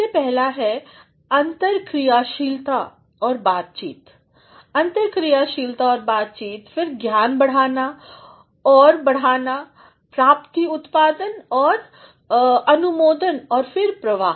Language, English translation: Hindi, The very first is interactivity and dialogue, interactivity and dialogue, then knowledge creation and extension, achievement output and approval and then flow